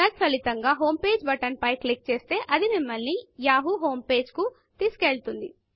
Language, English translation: Telugu, As a result, clicking on the homepage button brings us to the yahoo homepage